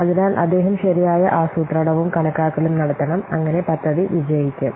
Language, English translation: Malayalam, So he has to do proper planning and estimation so that the project might get success